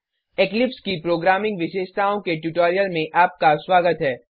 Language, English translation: Hindi, Welcome to the tutorial on Programming Features of Eclipse